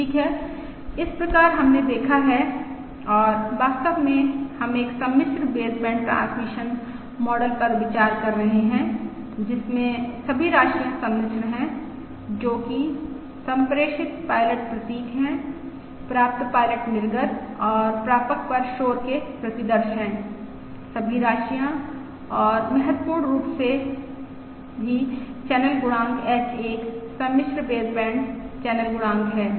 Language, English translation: Hindi, Alright, so we have seen, and in fact we are considering, a complex baseband transmission model in which all the quantities are complex, that is, the transmitted pilot symbols, the received pilot outputs and the noise samples at the receiver, all the quantities and also, for, importantly, the channel coefficient H is a complex baseband channel coefficient